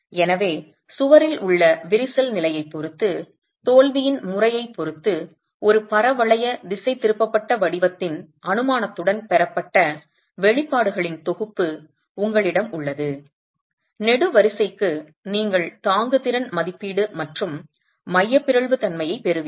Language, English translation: Tamil, So, depending on the condition in the wall, the crack condition in the wall and depending on the mode of failure, you have a set of expressions which have been derived with the assumption of a parabolic deflected shape for the column, you get the bearing capacity and the eccentricity corresponding to the capacity estimate itself